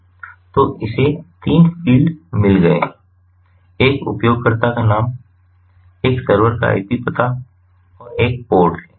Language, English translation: Hindi, so it has got three fields: one is username, one is the ip address of the server and one is the port